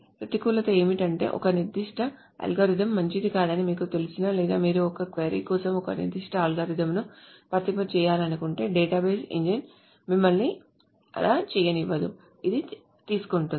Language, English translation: Telugu, The disadvantage is that even if you know that a particular algorithm is not good or if you want to apply a particular algorithm for a query, the database engine does not let you do so